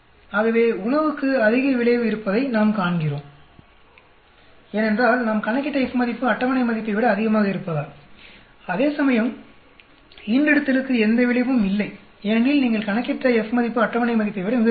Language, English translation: Tamil, So, we find the food has much has an effect, because of the F value we calculate is higher than the table value, whereas litter has no effect because the F value which you calculated is much less than the table value